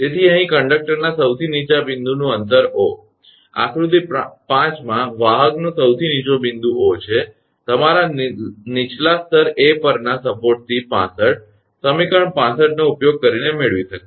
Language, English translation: Gujarati, So, here the distance of lowest point of conductor O, this is the lowest point of the conductor in figure 5 O, from the support at your lower level A can be obtained using 65 equation 65